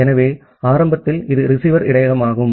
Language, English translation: Tamil, So, initially this is the receiver buffer